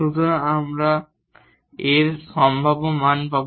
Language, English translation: Bengali, So, we will get possible values of lambda